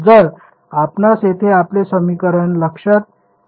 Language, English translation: Marathi, So, if you notice our equation over here